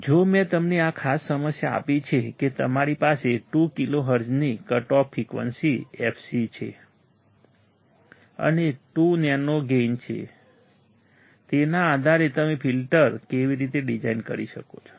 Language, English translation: Gujarati, If I gave you this particular problem that you have a cut off frequency fc of 2 kilohertz and gain of 2, based on that how you can design the filter